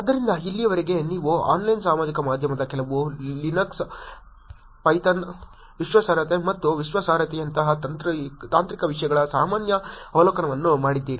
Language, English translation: Kannada, So, until now you have done general overview of Online Social Media some Linux, Python, technical topics like trust and credibility which just looked at privacy